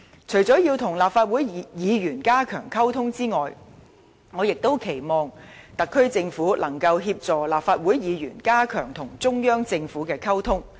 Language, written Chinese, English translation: Cantonese, 除了要與立法會議員加強溝通外，我亦期望特區政府能協助立法會議員加強與中央政府的溝通。, I also hope that apart from enhancing its communication with Legislative Council Members the SAR Government can assist Legislative Council Members in enhancing communication with the Central Government